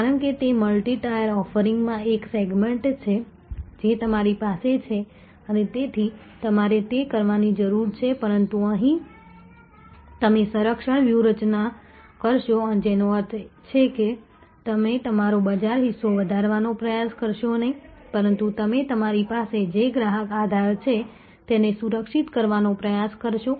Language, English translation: Gujarati, Because, it is one segment in a multi tier offering that you are have and therefore, you need to, but here you will do a defense strategy, which means you will not try to grow your market share, but you will try to protect the customer base that you have